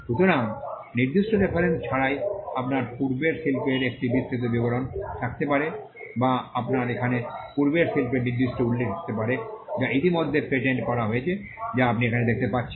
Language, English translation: Bengali, So, you could have a broad description of the prior art without specific references or you could also have specific references of prior art which have already been patented as you can see here